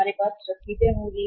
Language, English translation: Hindi, We will have the receivables